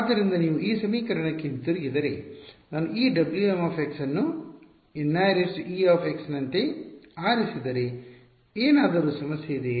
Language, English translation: Kannada, So, if you go back to this equation, if I choose this W m x to be something like N i e x is there any problem